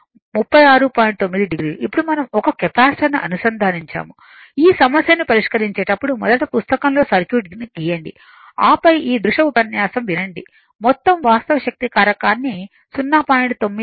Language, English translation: Telugu, 9, 9 degree; now, we have connected a Capacitor whenever you solve this problem first you draw the circuit on the notebook then you listen to this video lecture right to make the overall fact power factor now we have to make it 0